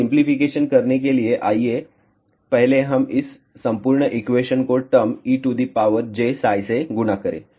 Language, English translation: Hindi, So, to do the simplification, let us first multiply this entire equation with the term E to the power j psi